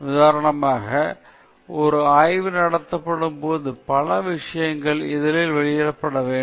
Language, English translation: Tamil, For example, there are several things when a study is conducted this has to be published in a journal